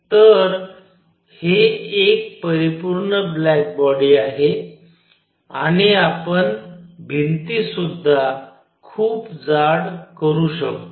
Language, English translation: Marathi, So, that it is a perfect black body and we can also make the walls very thick